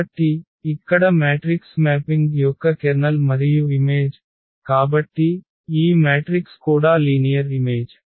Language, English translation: Telugu, So, here the kernel and image of the matrix mapping; so, because this matrix are also linear maps